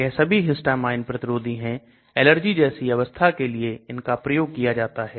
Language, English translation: Hindi, These are all antihistamines used for allergy type of situations